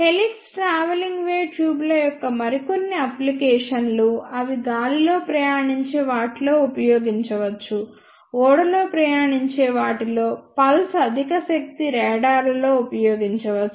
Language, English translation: Telugu, Few more ah applications of helix travelling wave tubes are such as they can be used an air borne, ship borne, pulse high power radars